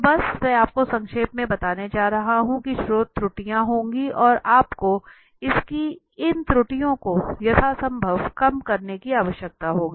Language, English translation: Hindi, So just I am going to brief you that research is very, research errors would be there and you need to cut down these errors as much as possible